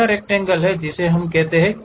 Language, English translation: Hindi, This rectangle what we call